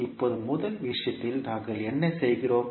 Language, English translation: Tamil, Now in first case, what we are doing